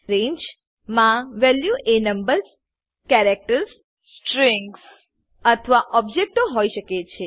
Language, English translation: Gujarati, The values in a range can be numbers, characters, strings or objects